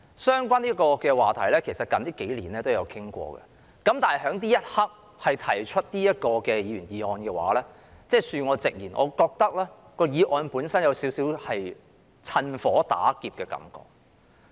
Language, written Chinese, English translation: Cantonese, 相關話題近數年也曾討論，但此刻提出這項議員議案，恕我直言，我認為議案本身有少許"趁火打劫"的感覺。, Related topics have been discussed in recent years . Yet with all due respect I think the moving of this Members motion at this very moment is somewhat like looting a burning house